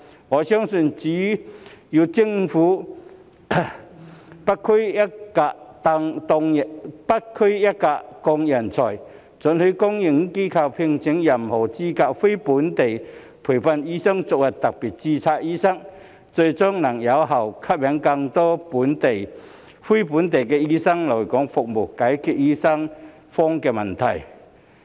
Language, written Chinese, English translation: Cantonese, 我相信，只有政府"不拘一格降人才"，准許公營機構聘請任何資格的非本地培訓醫生作為特別註冊醫生，最終能有效吸引更多非本地醫生來港服務，解決醫生荒問題。, I believe that if the Government brings talents in without restrictions and allows public institutions to hire NLTDs of any qualifications as special registration doctors it will eventually be able to effectively attract more NLTDs to come and serve in Hong Kong and solve the manpower shortage of doctors